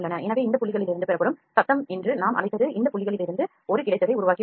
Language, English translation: Tamil, So, what we called the noise that is obtained from these points only it has developed a solid from this points